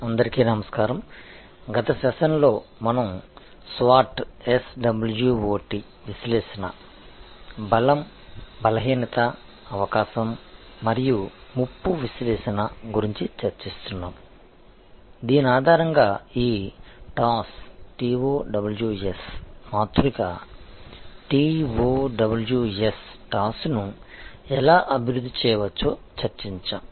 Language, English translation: Telugu, Hello, in the last session we were discussing about SWOT analysis, Strength Weakness Opportunity and Thread analysis based on which we discussed that how one can develop this TOWS matrix, T O W S